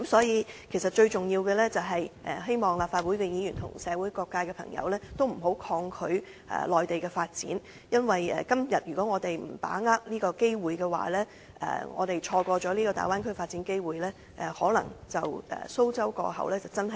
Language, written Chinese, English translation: Cantonese, 因此，最重要的是，希望立法會議員及社會各界的朋友，不要抗拒內地的發展，因為如果我們今天不把握機會，錯過了大灣區發展機會，可能真的是"蘇州過後無艇搭"......, Therefore most importantly I hope that Legislative Council Members and people of various sectors will not resist the Mainland development because if we do not grasp the opportunity today and miss the opportunity brought by the development of the Bay Area we may not be able to have a second bite of the cherry I hope that we can grasp the opportunity